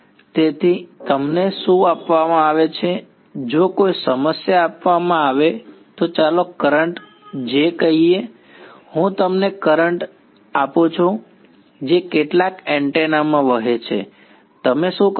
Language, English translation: Gujarati, So, what is given to you is if any problem is given let us say the current J, I give you the current that is flowing in some antenna what can you do